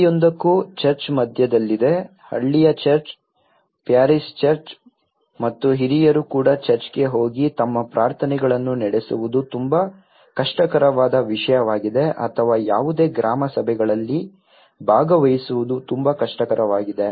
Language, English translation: Kannada, For every, the church is in the centre, the village church, the parish church and even for the elder people to go and conduct their prayers in the church it has become a very difficult thing or to attend any village councils meeting it has become very difficult thing